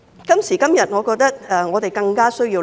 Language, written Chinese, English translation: Cantonese, 今時今日，我覺得這是我們更加需要思考的。, Nowadays I think this is even more deserving of our contemplation